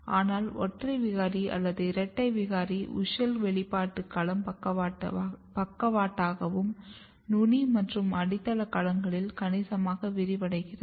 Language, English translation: Tamil, But if you look the single mutants or double mutants the WUSCHEL expression domain is significantly expanded both laterally as well as in the apical and basal domains